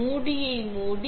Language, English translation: Tamil, Close the lid